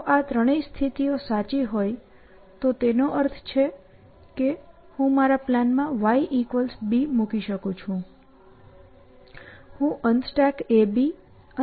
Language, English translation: Gujarati, If all these three conditions were to be true which means that I can put y equal to b in my plan